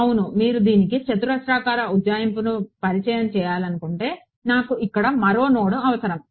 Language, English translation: Telugu, Exactly so, if I want you to introduce a quadratic approximation to this then I would need one more node over here